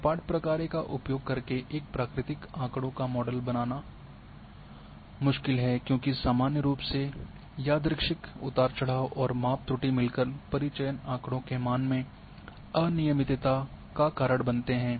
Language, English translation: Hindi, A natural data’s are difficult to model using the smooth functions because normally random fluctuations and measurement error combine to cause irregularities in the sample data values